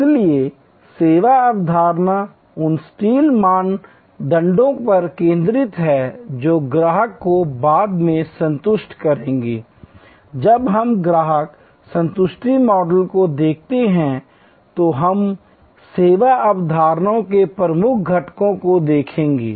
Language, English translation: Hindi, So, service concept focuses on the exact criteria that will satisfy the customer later on when we look at customer satisfaction models we will look at the key constituents of the service concepts